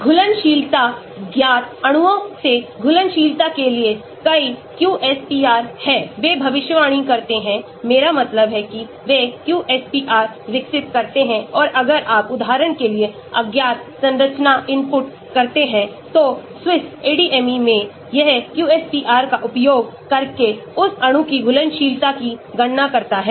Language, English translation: Hindi, Solubility; there are many QSPRs for solubility from known molecules, they predict the; I mean they develop the QSPR and if you input unknown structure for example, in Swiss ADME, it calculates the solubility of that molecule using QSPR